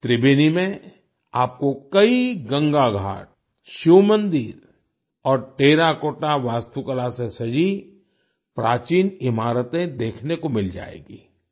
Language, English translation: Hindi, In Tribeni, you will find many Ganga Ghats, Shiva temples and ancient buildings decorated with terracotta architecture